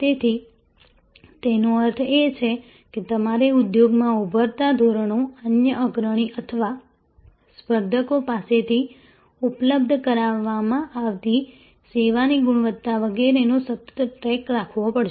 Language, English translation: Gujarati, So; that means, you have to constantly keep a track of the emerging standards in the industry, the service quality being made available from other prominent or competitors and so on